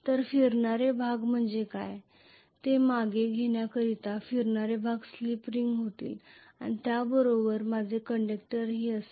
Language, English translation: Marathi, So to retreat what are the rotating parts the rotating parts are going to be slip ring along with that I will also be have conductors